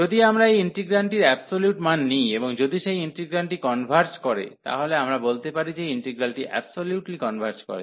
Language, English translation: Bengali, So, if you if we take the absolute value of this integrand, and even though that integral converges we call that the integral converges absolutely